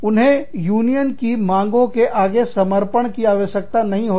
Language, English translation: Hindi, They do not have to give in, to the demands of the unions